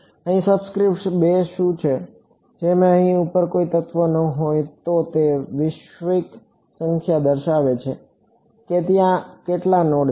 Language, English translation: Gujarati, That is what the subscript two over here, if there is no element over here on top then it refers to the global number how many nodes are there